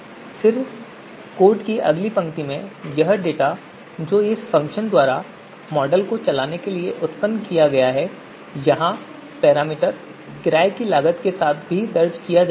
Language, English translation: Hindi, Then, renting cost these values data that have been that has been that has been generated by these function to run the model that also we are recording here with parameter renting cost